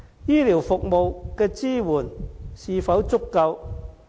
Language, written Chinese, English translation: Cantonese, 醫療服務的支援是否足夠？, Is the health care support adequate?